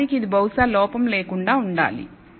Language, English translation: Telugu, In fact, it should be probably error free